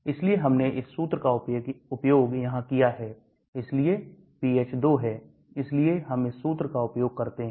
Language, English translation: Hindi, So we used this formula here, so pH is 2 so we use this formula